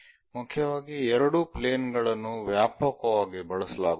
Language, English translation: Kannada, Mainly two planes are widely used